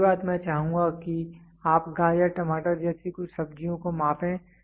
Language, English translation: Hindi, Next thing I would like you to measure few vegetables like carrot, tomato